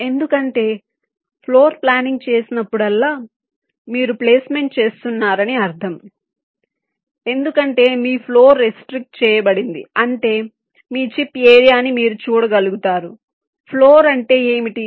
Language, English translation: Telugu, because whenever do a floor planning, it means you are doing placement, because your floor is restricted, means you see your chip area